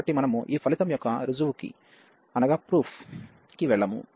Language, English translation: Telugu, So, we will not go through the proof of this result